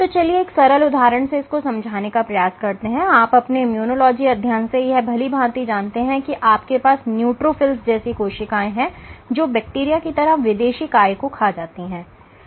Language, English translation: Hindi, So, let us take a simple example, you know from your immunology studies, that you have neutrophils which actually eat up foreign bodies like bacteria